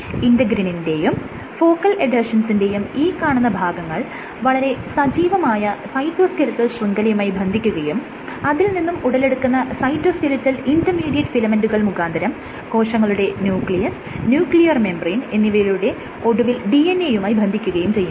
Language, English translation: Malayalam, So, this part of integrins also part of the focal adhesions the linked to the active network, and eventually through intermediate cytoskeletal intermediate filament networks they are connected to the nucleus nuclear membrane and that will eventually link it to the DNA